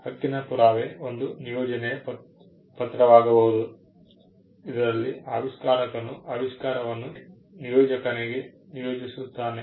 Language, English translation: Kannada, The proof of right can be an assignment deed, wherein, the inventor assigns the invention to the assignee